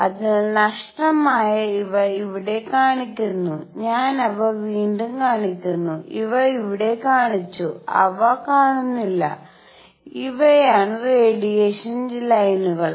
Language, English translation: Malayalam, So, missing these are shown here, I am just showing them again, these were shown here, they were missing and these are the absorption lines